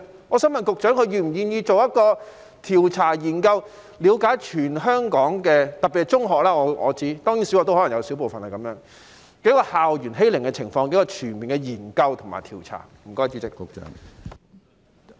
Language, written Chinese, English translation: Cantonese, 我想問局長是否願意進行一項調查研究，以了解全香港——特別是中學，當然小學可能也會有小部分——校園欺凌的情況，並進行全面研究和調查呢？, May I ask the Secretary whether he is willing to conduct a survey on the situation of school bullying in Hong Kong particularly in secondary schools and of course there may be a small number of bullying cases in primary schools as well as a comprehensive study and investigation?